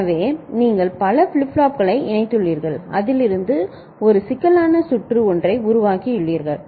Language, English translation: Tamil, So, you have connected many flip flops and you have made a complex circuit out of it